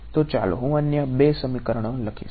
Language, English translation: Gujarati, So, let me write down the other two equations